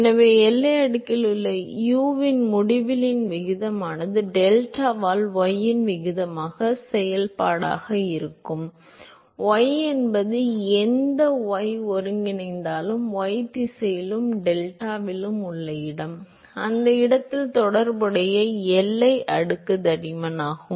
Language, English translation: Tamil, So, ratio of u by u infinity in the boundary layer you somehow a function of the ratio of the y by delta, where y is any y coordinate, the location in the y direction and delta is the corresponding boundary layer thickness at that location